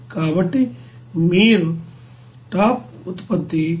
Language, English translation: Telugu, So you can write here top product will be 173